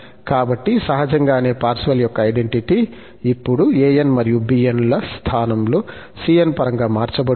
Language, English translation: Telugu, So, the naturally the Parseval's identity will be also changed now in terms of cn, not an's and bn's